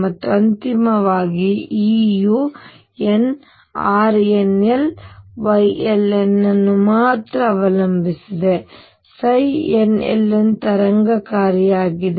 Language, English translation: Kannada, And finally, E depends only on n R nl Y ln is the wave function psi n l n